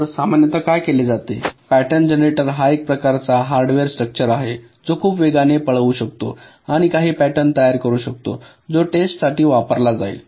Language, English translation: Marathi, so typically what is done, this pattern generator, is some kind of a hardware structure which can run very fast and generate some patterns which will be use for testing